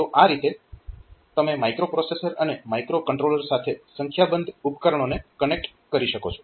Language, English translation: Gujarati, So, this way you can connect a number of devices to the microprocessor and micro controllers